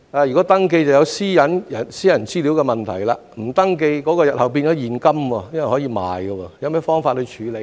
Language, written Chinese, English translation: Cantonese, 若要，便會涉及個人資料私隱的問題；若否，膠袋日後又會變成現金，因為可以售賣，有何方法處理呢？, If so the issue of personal data privacy will be involved; if not will these plastic bags be turned into cash in the future because they can be put up for sale? . Are there any ways to deal with it?